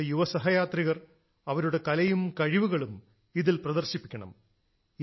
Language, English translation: Malayalam, Our young friends must showcase their art, their talent in this